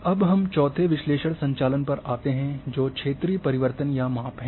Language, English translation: Hindi, Now we come to the fourth analysis operations which are regional transformation or measurement